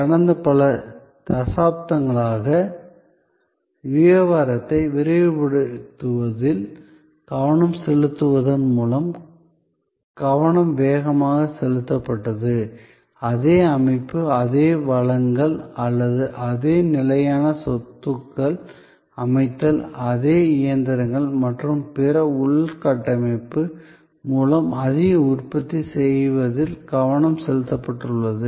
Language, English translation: Tamil, Over last several decades, the focus has been on faster through put, focus has been on accelerating the business, focus has been on producing more with the same system, same set of resources or the same fixed assets setup, the same sets of machines and other infrastructure